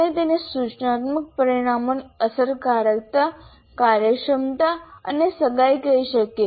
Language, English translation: Gujarati, So we can call it instructional outcomes are effectiveness, efficiency and engagement